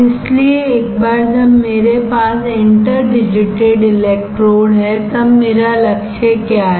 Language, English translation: Hindi, So, once I have interdigitated electrodes then what is my goal